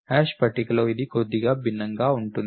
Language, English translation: Telugu, In the hash table, it is slightly different